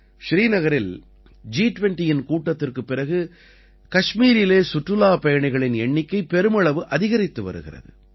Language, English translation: Tamil, After the G20 meeting in Srinagar, a huge increase in the number of tourists to Kashmir is being seen